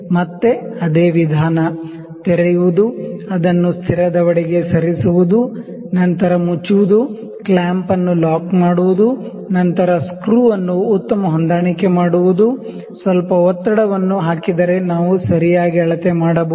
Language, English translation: Kannada, Again the same procedure; opening, moving it to the fixed jaw, then closing, locking the clamp, locking, then fine adjustment screw, a little pressure so that we can do the properly